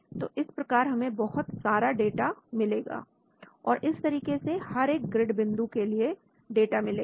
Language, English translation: Hindi, so we will get lots of data and at each of this grid point